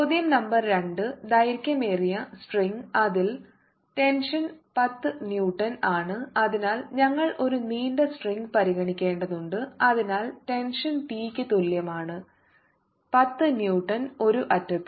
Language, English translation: Malayalam, so we have to considering: a long string which has tension t equals ten newtons is held at one end, so we are holding one end of it and this end is being moved in a displacement